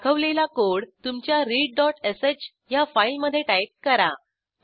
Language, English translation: Marathi, Type the code as shown, in your read.sh file